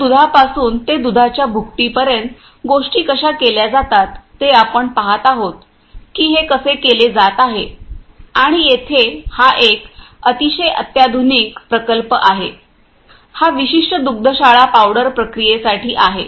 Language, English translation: Marathi, So, from milk to milk powder how things are done that we are going to see in a how it is being done and here it is a very sophisticated plant, that this particular dairy has for this particular you know powder processing